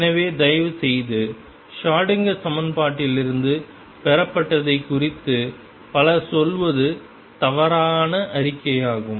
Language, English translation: Tamil, So, please be aware of that lot of people say derived Schrödinger equation that is a wrong statement to make